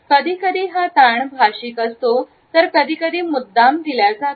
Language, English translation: Marathi, The stress can be either a linguistic one or a deliberate one